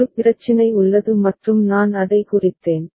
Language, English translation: Tamil, Problem is there for a and I have marked it